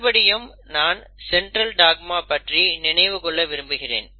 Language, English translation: Tamil, Now again I want to go back to Central dogma